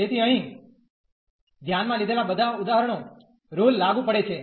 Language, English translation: Gujarati, So, all the examples considered here that rule is applicable